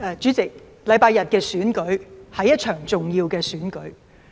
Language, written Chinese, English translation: Cantonese, 主席，本周日的選舉是一場重要的選舉。, President this Sundays election is of great importance